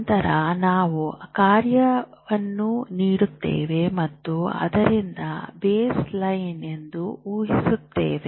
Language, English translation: Kannada, But then we give that task and we assume from that baseline